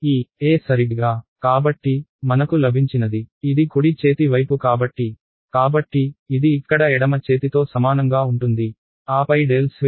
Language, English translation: Telugu, E exactly ok; so, what I have got this is the right hand side so, therefore, this is equal to the left hand side over here then squared E ok